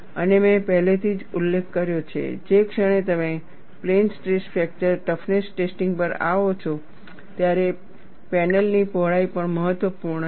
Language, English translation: Gujarati, And I had already mentioned, the moment you come to plain stress fracture toughness testing, the width of the panel also matters